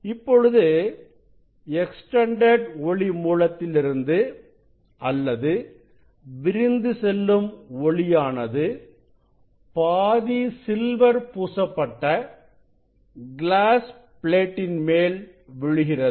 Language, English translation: Tamil, Now, the source extended source from this extended source or this divergence light falling on a half silver glass plate or beam splitter